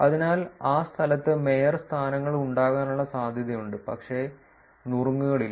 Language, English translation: Malayalam, So, therefore, there is a chance that there are mayorships in that location, but not tips